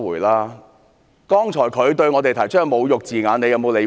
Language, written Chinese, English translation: Cantonese, 他剛才對我們說出的侮辱字眼，你有否理會？, When he said insulting words to us earlier did you give them any attention?